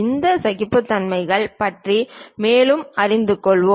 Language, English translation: Tamil, Let us learn more about these tolerances